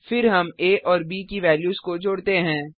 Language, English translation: Hindi, Then we add the values of a and b